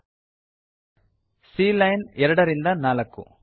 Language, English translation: Kannada, C line 2 to 4